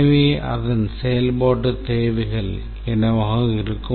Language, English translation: Tamil, So, what are the functionalities that it should have